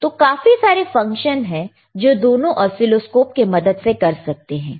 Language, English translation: Hindi, So, I will explain you the function of oscilloscope,